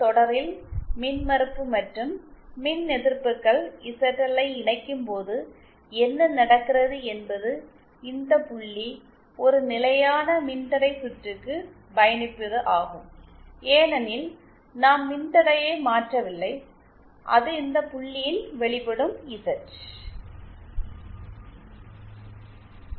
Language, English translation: Tamil, On connecting impedance and reactants zl in series, what happens is this point traverses a constant resistance circuit, since we are not changing the resistance and it will appear at this point Z